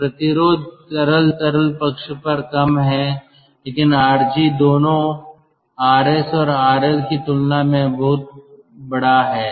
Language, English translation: Hindi, so that resistance is ah low on the liquid liquid side but rg is very, very large compared to both rs and r l